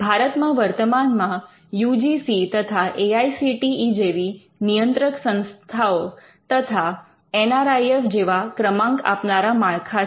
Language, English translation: Gujarati, In India currently we find that various regulators like the UGC, AICTE and some ranking frameworks like the NIRF